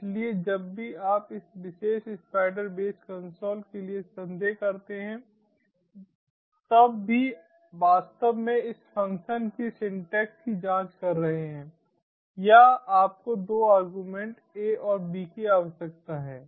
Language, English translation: Hindi, so whenever you are in doubt for this particular spider base console, even actually checking the syntax of this function, or you need two arguments, a and b